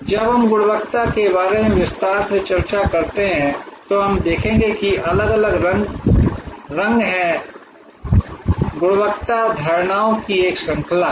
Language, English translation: Hindi, When we discuss in detail about quality, we will see that there are different shades, quality is a range of perceptions